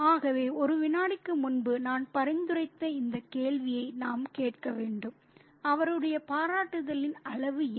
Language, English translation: Tamil, So, we need to ask this question, which I suggested just a second ago, what exactly is the extent of his appreciation